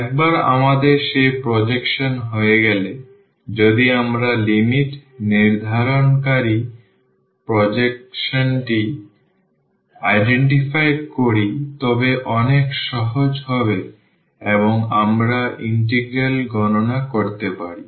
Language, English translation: Bengali, Once we have that projection, if we identify that projection putting the limits will be will be much easier and we can compute the integral